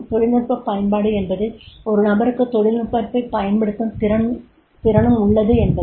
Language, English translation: Tamil, Technical application means that is a person is able to make the use of the technology